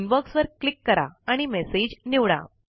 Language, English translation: Marathi, Click on Inbox and select a message